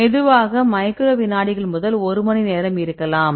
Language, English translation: Tamil, Slow to slow to fast may be the microseconds to one hour